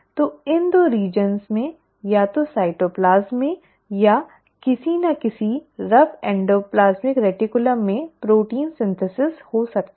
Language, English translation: Hindi, So you can have protein synthesis in either of these 2 areas, either in the cytoplasm or in the rough endoplasmic reticulum